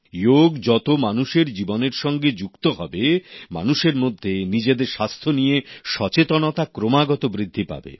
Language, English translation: Bengali, As 'Yoga' is getting integrated with people's lives, the awareness about their health, is also continuously on the rise among them